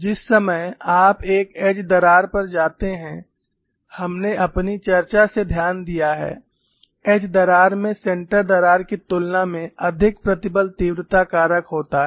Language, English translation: Hindi, The moment you go to an edge crack, we have noted from our discussion, edge cracks have a higher stress intensity factor than a center crack